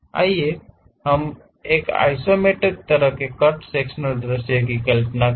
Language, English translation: Hindi, Let us visualize cut sectional view in the isometric way